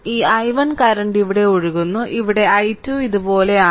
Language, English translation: Malayalam, So, we are moving like this so, this i 1 current is flowing here and here i 2 is like this right